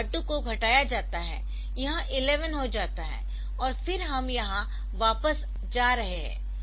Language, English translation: Hindi, So, r 2 r 2 is decremented in becomes 11 and then we are going back here